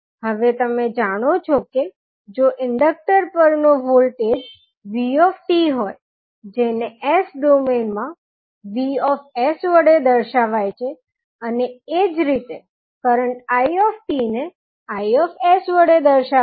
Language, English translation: Gujarati, Now, you know that if the voltage across inductor is v at ant time t it will be represented as v in s domain and similarly, current It will be represented as i s